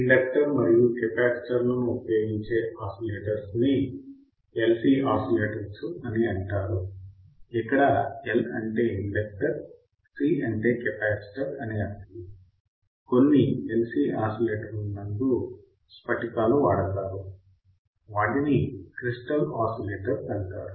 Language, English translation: Telugu, Those which requires inductors right and capacitors are called LC oscillators inductor L capacitor C; LC oscillator in some oscillators crystals are used, they are called the crystal oscillators